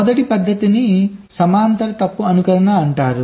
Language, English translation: Telugu, the first method is called parallel fault simulation